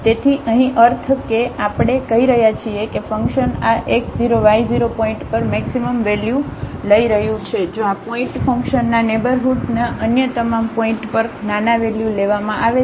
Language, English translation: Gujarati, So, meaning here we are calling that the function is taking maximum value at this x 0 y 0 point if at all other points in the neighborhood of this point function is taking smaller values